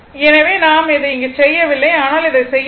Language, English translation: Tamil, So, I am not doing it here, but please do it